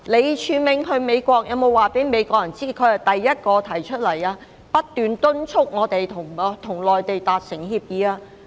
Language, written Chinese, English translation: Cantonese, 李柱銘前往美國時，有否告訴美國人，他是第一個提出兼不斷敦促香港要跟內地達成協議的人？, During his trips to the United States did Martin LEE tell the Americans that he was the first person who proposed and incessantly advocated that Hong Kong should conclude an agreement with the Mainland?